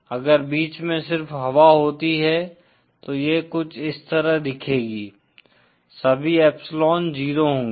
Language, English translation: Hindi, If we had just air in between, then it would look something like this will all epsilon 0